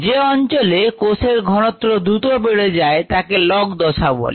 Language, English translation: Bengali, the region where the cell concentration changes rapidly is called the log phase